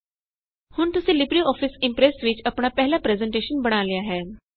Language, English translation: Punjabi, You have now created your first presentation in LibreOffice Impress